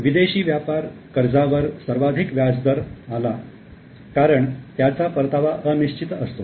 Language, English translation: Marathi, Foreign trade loan attracted the highest rate of interest because the returns are uncertain